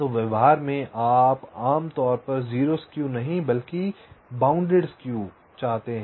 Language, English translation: Hindi, so in practice, what you typically may want to have, not exactly zero skew but bounded skew